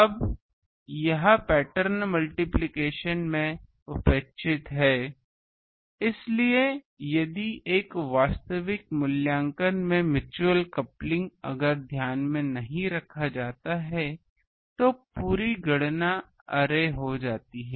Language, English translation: Hindi, Now, that is neglected in pattern multiplication, so if in an actual evaluation that mutual coupling if it is not taken in to account then the whole calculations goes array